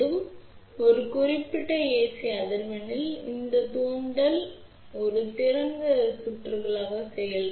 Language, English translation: Tamil, So, that at a given ac frequency this inductor will act as a open circuit